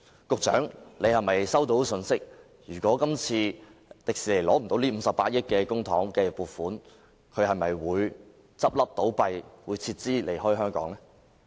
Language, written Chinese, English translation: Cantonese, 局長是否收到消息，指迪士尼如果無法得到今次這筆58億元公帑的撥款，便會倒閉和撤資離開香港呢？, Has the Secretary received information that Disneyland will close down and withdraw its investment from Hong Kong if this 5.8 billion public funding is not obtained?